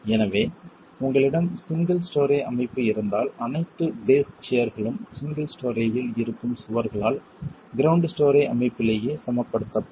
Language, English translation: Tamil, So, if you have a single story structure, all the base share is equilibrated by the walls that are present in the single story, in the ground story structure itself